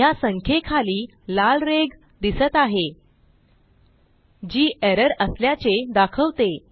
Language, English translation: Marathi, As we can see, there is a red line below the number which indicates an error